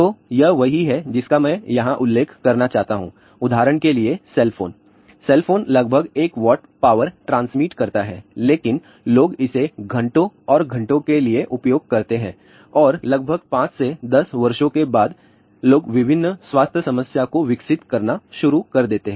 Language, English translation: Hindi, So, this is what I also want to mention here that; for example, cell phone cell phones transmit about 1 watt of power, but people use it for hours and hours and after almost close to a 5 to 10 years, people start developing various health problem